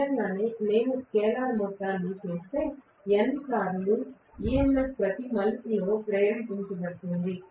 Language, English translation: Telugu, Obviously if I make scaler sum, I am going to get N times EMF induced per turn